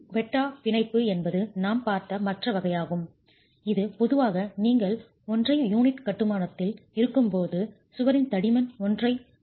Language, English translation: Tamil, Quetta bond is the other type that we had seen and this is typically when you have one and a half unit construction